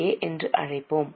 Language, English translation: Tamil, So, we will put it as E